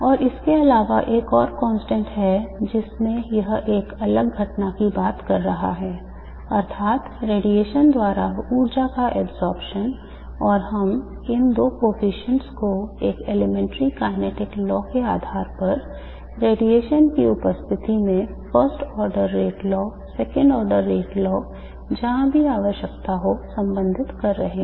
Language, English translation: Hindi, And also there is another constant which is referring to a different phenomenon namely the absorption of energy by radiation and we are relating these two coefficients based on an elementary kinetic law, first order rate law, second order rate law in the presence of the radiation wherever that is necessary